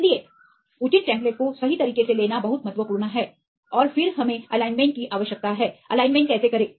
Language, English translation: Hindi, So, it is very important to take their proper templates right and then we did need to do the alignments how to make the alignments